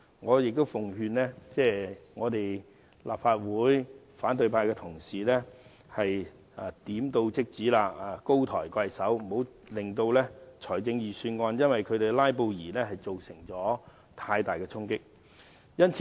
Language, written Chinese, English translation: Cantonese, 我奉勸立法會反對派同事，請高抬貴手，點到即止，不要讓"拉布"對預算案造成太大衝擊。, I must advise opposition Members to be sensible and not to go too far . Do not let the filibuster cause any heavy impact on the Budget